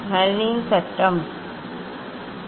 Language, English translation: Tamil, there is the Snell s law